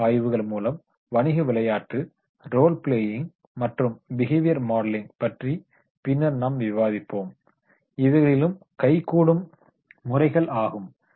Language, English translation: Tamil, Case studies I will also discuss later on in details about these business games, role plays and behavior modeling in these are the hands on methods are there